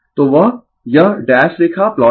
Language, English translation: Hindi, So, that this dash line is plot right